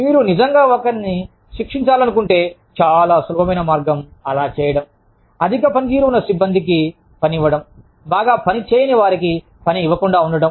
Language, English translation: Telugu, If you really want to punish somebody, very easy way, of doing so is, to give high performing personnel, no work at all